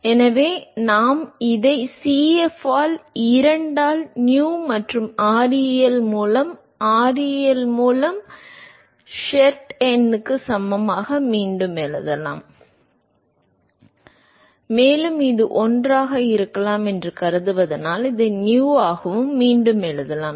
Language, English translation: Tamil, So, we can rewrite this as Cf by 2 equal to Nu by ReL equal to Sherwood number by ReL and because we assume this could be 1, we could also rewrite this as Nu